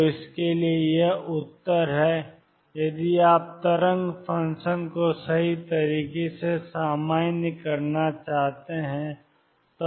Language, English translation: Hindi, So, this is the answer for this if you want to normalize the wave function right